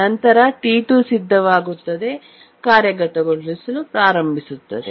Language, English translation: Kannada, And T2 becomes ready, starts executing